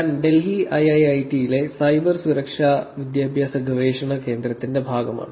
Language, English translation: Malayalam, I am a part of Cyber Security Education and Research Center at IIIT, Delhi